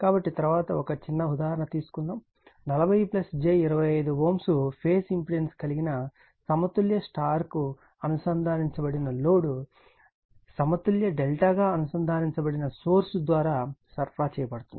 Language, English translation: Telugu, So, next you take one small example that a balanced star connected load with a phase impedance 40 plus j 25 ohm is supplied by a balanced, positive sequence delta connected source